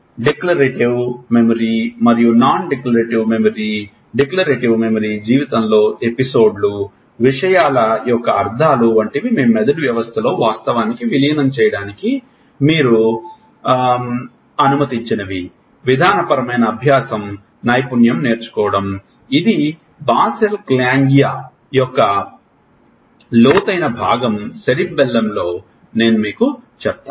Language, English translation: Telugu, A declarative memory and Non declarative memory Declarative Memory: is like all as a personal type of things the episodes in life, the meanings of the things, which you have allow actually incorporated in your brain system, procedural learning is skill learning, which is a deeper part of Basel ganglia which I told you in Cerebellum which